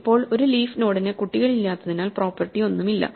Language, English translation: Malayalam, Now, a leaf node has no properties to satisfy because it has no children